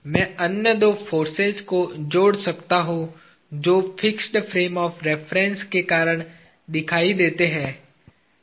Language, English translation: Hindi, I can add the other two forces that appear due to the fixed frame of reference; Dx and Dy